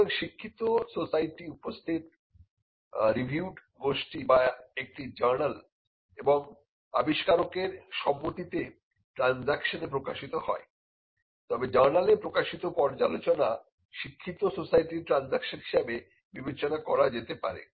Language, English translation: Bengali, So, the learned society appear, reviewed group or a journal; if it is published with his consent in the transaction say the publication appeared review journal can be regarded as a transaction of a learned society